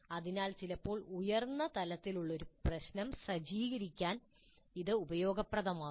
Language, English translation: Malayalam, So sometimes it may be useful to set a problem which is at a slightly higher level